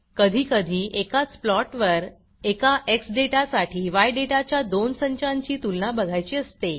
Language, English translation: Marathi, Sometimes we need to compare two sets of data in the same plot, that is, one set of x data and two sets of y data